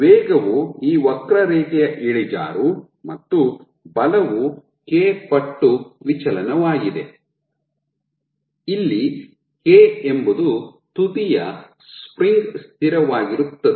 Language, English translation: Kannada, So, velocity is nothing, but slope of this curve and force is k times deflection, where k is the spring constant of the tip